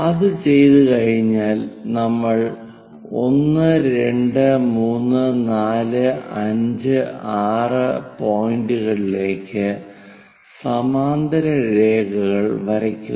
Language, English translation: Malayalam, Once that is done we draw parallel lines to these points 1 2 3 4 5 6